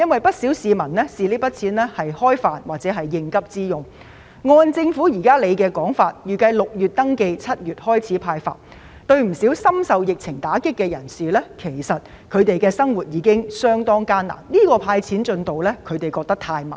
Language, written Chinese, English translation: Cantonese, 不少市民會用這筆錢來"開飯"或應急，但按照政府現時的說法，預計在6月進行登記、7月開始"派錢"，對於不少深受疫情打擊的人士，現時的生活已經相當艱難，這種"派錢"進度太慢。, A lot of people will rely on the money for food or to meet emergency needs . However according to the Government it is expected that registration will begin in June and the money will be disbursed in July . For a large number of people who have been hit hard by the epidemic life is already very difficult and the progress of disbursing cash is far too slow